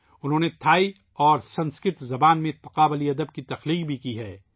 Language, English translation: Urdu, They have also carried out comparative studies in literature of Thai and Sanskrit languages